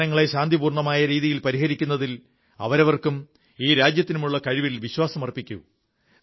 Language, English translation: Malayalam, They should have faith in their own capabilities and the capabilities of this country to resolve issues peacefully